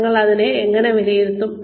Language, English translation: Malayalam, How will we evaluate this